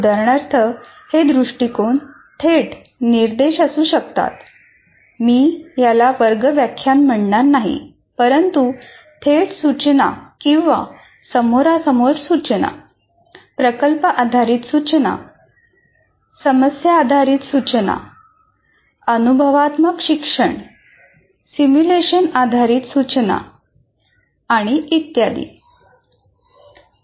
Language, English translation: Marathi, Project based instruction, problem based instruction, experiential learning, simulation based instruction, and so on